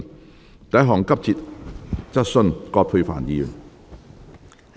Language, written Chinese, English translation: Cantonese, 第一項急切質詢。, Urgent question one . 1